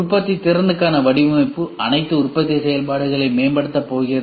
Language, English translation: Tamil, Design for manufacturability is going to optimize all the manufacturing functions, these are all the manufacturing functions